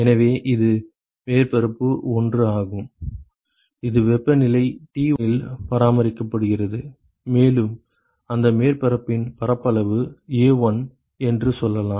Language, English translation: Tamil, So, this is the surface 1, which is maintained at temperature T1 and, let us say the area of that surface is A1